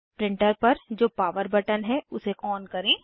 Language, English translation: Hindi, Switch on the power button on the printer